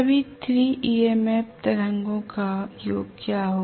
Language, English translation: Hindi, What is going to be the summation of all the 3 MMF waves